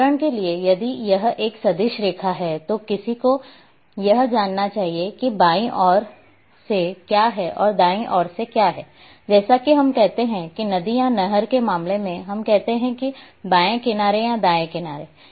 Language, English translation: Hindi, Because for example, if it is a vector line then one should know that what is one the left side and what is on the right side, when we say like in case of a river or canal we say left bank or right bank